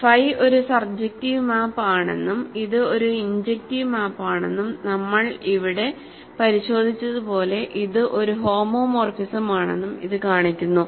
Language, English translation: Malayalam, So, this shows that phi is a surjective map, it is an injective map and it is a homomorphism as we verified here